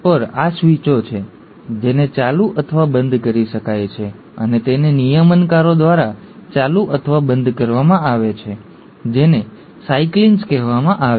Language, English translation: Gujarati, There are these switches, which can be turned on or turned off, and these are turned on or turned off by regulators which are called as ‘cyclins’